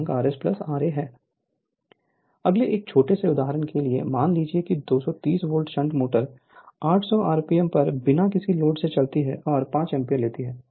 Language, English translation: Hindi, So, next take one small example suppose a 230 volts shunt motor runs at 800 rpm on no load and takes 5 ampere